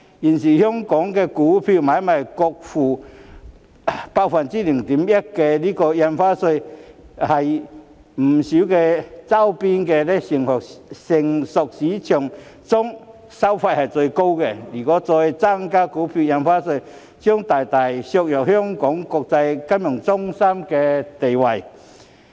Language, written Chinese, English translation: Cantonese, 現時香港股票買賣雙方各付 0.1% 印花稅，在周邊不少成熟股票市場中收費最高；如果再增加印花稅，將大大削弱香港作為國際金融中心的地位。, At present there is 0.1 % stamp duty each side for stock transactions in Hong Kong which is the highest among many mature stock markets around us; if Stamp Duty is increased further this will considerably undermine Hong Kongs status as an international financial centre